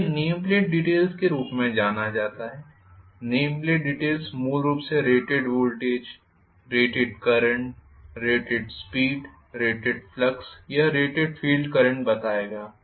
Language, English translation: Hindi, So, that is known as the name plate details, the name plate details will carry basically what is the rated voltage, rated current, rated speed, rated flux or rated field current for example in a DC machine, the power rating